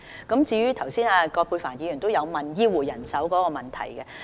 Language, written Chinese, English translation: Cantonese, 葛珮帆議員剛才也問及醫護人手的問題。, Ms Elizabeth QUAT also asked about the manpower of health care staff